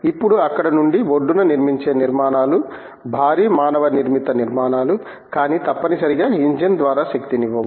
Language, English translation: Telugu, Now, from there the offshore structures which are huge manmade structures, but not necessarily powered by an engine